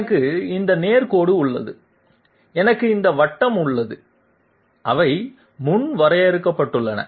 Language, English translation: Tamil, I have this straight line and I have this circle, they are predefined